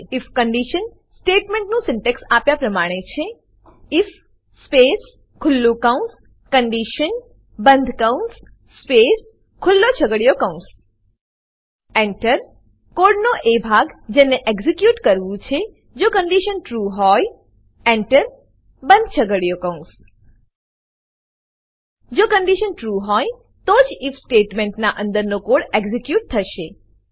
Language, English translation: Gujarati, The syntax of if conditional statement is as follows if space open bracket condition close bracket space Open curly bracket Enter Piece of code semicolon, to be executed when the condition is true Enter, Close curly bracket The code inside the if statement will be executed only when the condition is true